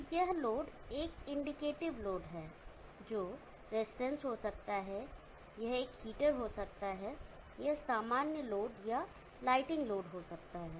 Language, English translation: Hindi, So this load is a indicative load which could be resistance, it could be heater, it could be any general load or a lighting load